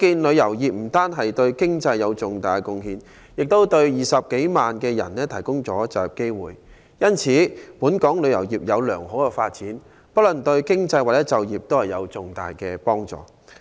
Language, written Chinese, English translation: Cantonese, 旅遊業不單對經濟有重大貢獻，亦為20多萬人提供了就業機會。因此，本港旅遊業有良好的發展，不論對經濟或就業都有重大的幫助。, As our travel industry has contributed much to the economy and provided job opportunities to more than 200 000 people its healthy development is thus crucial to both economy and employment